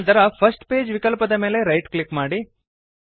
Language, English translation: Kannada, Then right click on the First Page option